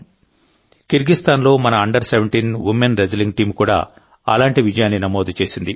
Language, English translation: Telugu, One such similar success has been registered by our Under Seventeen Women Wrestling Team in Kyrgyzstan